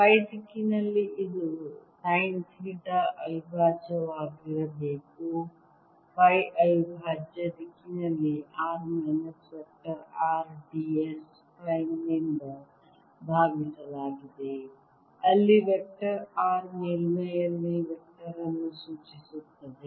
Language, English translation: Kannada, it should be: sine theta prime in phi prime direction, divided by r minus vector r d s prime, where vector r denotes the vector on the surface right, vector r denotes the vector on the surface